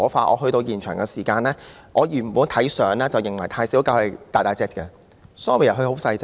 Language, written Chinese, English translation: Cantonese, 我抵達現場時，原本以為"泰小狗"的身型是很大的，但原來牠只是很細小。, I originally thought that the Thai puppy was quite large in size but on arriving at the venue it turned out that it was actually small in size